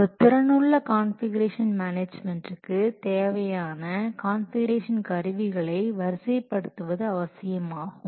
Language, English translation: Tamil, For effective configuration management, it is necessary to deploy a configuration management tool